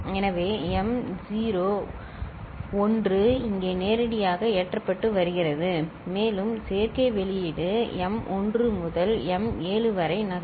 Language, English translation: Tamil, So, this m naught this 1 is getting directly loaded here and the adder output will be coming at m 1 to m 7